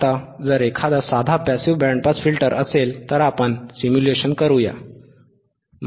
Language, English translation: Marathi, Now if there is a simple passive band pass filter, then let us do the simulation